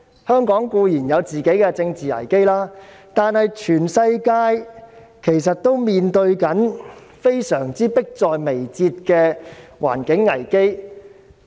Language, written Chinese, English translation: Cantonese, 香港固然有自己的政治危機，但全世界其實面對迫在眉睫的環境危機。, Hong Kong admittedly has its own political crisis but the world actually faces an imminent environmental crisis